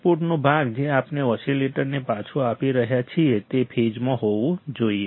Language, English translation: Gujarati, The output the part of the output that we are feeding back to the oscillator should be in phase